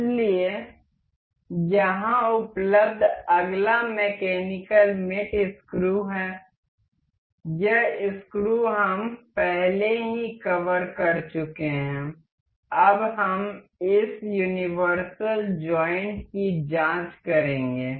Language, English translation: Hindi, So, the next available mechanical mate here is screw, this screw we have already covered now we will check this universal joint